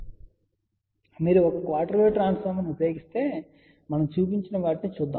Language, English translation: Telugu, So, if you use one quarter wave transformer, so let us see what we have shown